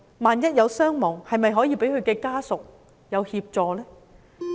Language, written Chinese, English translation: Cantonese, 萬一有傷亡，是否可以向其家屬提供協助呢？, In case there are any casualties can assistance be provided to their family members?